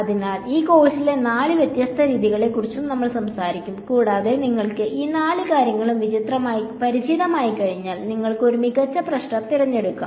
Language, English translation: Malayalam, So, we will talk about all four different kinds of methods in this course and after you are familiar with all four, then you can choose for a given problem what is the best candidate